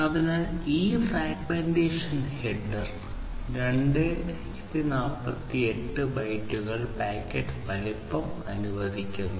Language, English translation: Malayalam, So, this fragmentation header allows 2048 bytes packet size with fragmentation